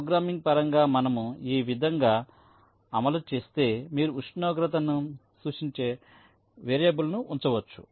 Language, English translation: Telugu, say, if we implement in this way, while in terms a programming you can keep a variable that represents the temperature